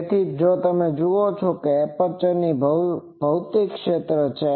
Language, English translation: Gujarati, So, you see this is physical area of the aperture